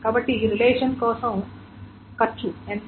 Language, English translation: Telugu, So, what is the cost for a relation